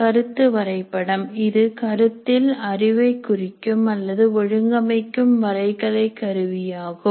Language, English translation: Tamil, This is a concept map is a graphical tool for organizing and representing conceptual knowledge